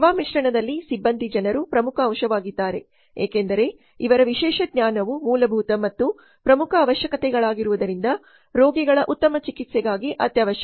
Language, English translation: Kannada, Among the service mix people is the most important element as specialized knowledge is basic and most important requirement for superior treatment of the patients